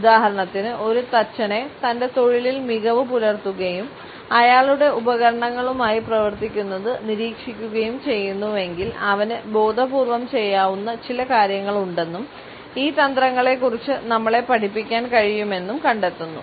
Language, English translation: Malayalam, For example, if we look at a carpenter who is excellent in his profession and we watch him working with his tools, if you would find that there are certain things which he may do in a conscious manner and can teach us about these tricks